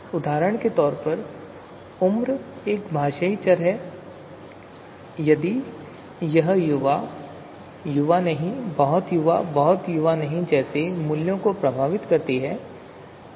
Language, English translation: Hindi, So for example, age is a linguistic variable if it takes effect values such as young, not young, very young, not very young